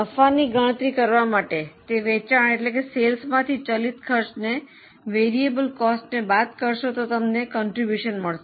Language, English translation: Gujarati, To calculate the profit, now sales minus variable cost you get contribution